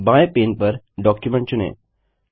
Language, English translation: Hindi, On the left pane, select Document